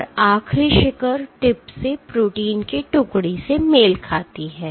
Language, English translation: Hindi, And the last peak corresponds to detachment of protein from the tip